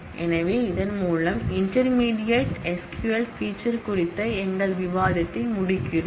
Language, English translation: Tamil, So, with this we close our discussion on the intermediate level SQL features